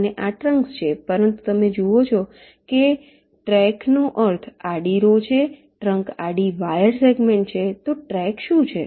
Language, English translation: Gujarati, but you see, track means the horizontal row, trunk is horizontal wire segment